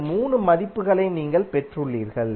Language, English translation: Tamil, You have got these 3 values that what we calculated just now